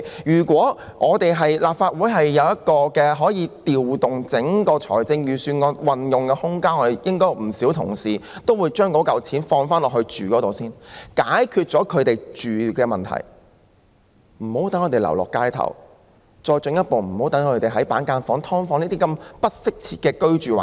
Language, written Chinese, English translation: Cantonese, 如果立法會可以有空間調動預算案的撥款運用，應有不少議員會提出把款項用作住屋用途，先解決他們的住屋問題，讓他們無需流落街頭，無需繼續居於板間房或"劏房"等不適切的居住環境。, If the Legislative Council can have the room for adjusting the uses of the Budgets appropriations many Members will probably propose to spend money for providing accommodation so as to resolve their housing problem on a priority basis and spare them the need of living on the streets or continuing to live in inadequate housing conditions such as partitioned units and subdivided units